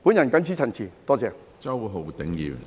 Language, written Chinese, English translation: Cantonese, 我謹此陳辭，多謝。, I so submit . Thank you